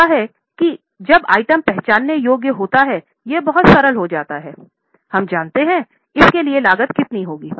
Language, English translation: Hindi, Now, what happens is when the item is identifiable, it becomes very simple, we know how much is a cost for it